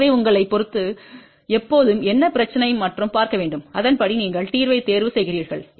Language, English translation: Tamil, So, depending upon you should always see what is the problem and accordingly you choose the solution